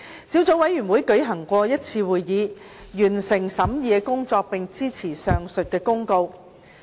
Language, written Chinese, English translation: Cantonese, 小組委員會舉行了一次會議，完成審議工作，並支持上述的公告。, The Subcommittee met once to complete the scrutiny and supported the said Notice